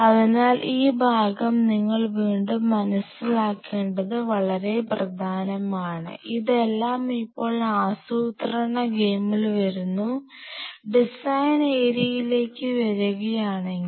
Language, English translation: Malayalam, So, that is very important that you understand this part again this all comes in the planning game now coming back to the design area